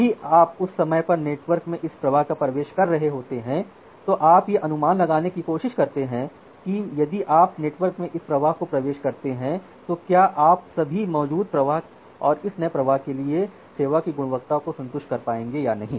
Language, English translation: Hindi, Now whenever you are entering this flow in the network during that time you try to estimate that, if you enter this flow in the network, then whether you will be able to satisfy the quality of service for all the existing flows plus this new flow in the same network or not